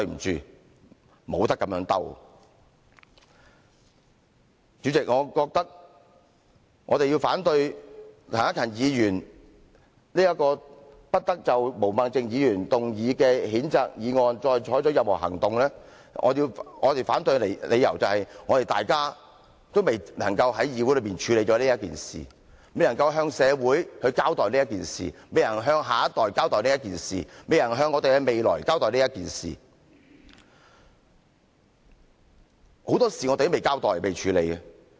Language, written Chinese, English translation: Cantonese, 主席，我們要反對陳克勤議員這項"不得就毛孟靜議員動議的譴責議案再採取任何行動"的議案，我們反對的理由是，大家仍未能在議會上處理這事宜、未能向社會交代這事宜、未能向下一代交代這事宜、未能向我們的未來交代這事宜，很多事我們仍未交代和處理。, President we have to reject Mr CHAN Hak - kans motion that no further action shall be taken on the censure motion moved by Hon Claudia MO . We object this because Members have yet to start handling this issue yet to account to the public for this incident yet to explain this to the future generations and yet to expound the matter to the future society . There are simply too many issues to clarify and handle